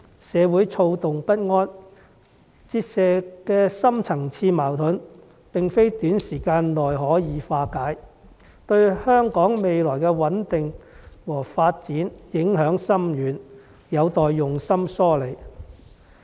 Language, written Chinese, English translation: Cantonese, 社會躁動不安，折射的深層次矛盾，並非短時間內可以化解，對香港未來的穩定和發展影響深遠，有待用心梳理。, Social unrest and turbulence have revealed deep - seated conflicts in our community which cannot be resolved overnight . We need to address these conflicts patiently and carefully as they have a far - reaching impact on the stability and development of Hong Kong in the future